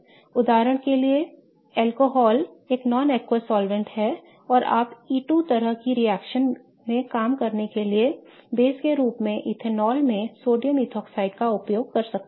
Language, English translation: Hindi, So, for example, alcohol is a non acquious solvent and you can use sodium ethoxide in ethanol as a base to work in an E2 kind of reaction